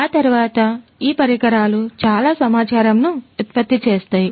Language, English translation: Telugu, Thereafter, these devices would generate lot of data